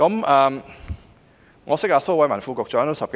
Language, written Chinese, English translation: Cantonese, 我認識蘇偉文副局長已10多年。, I have known Under Secretary Dr Raymond SO for more than a decade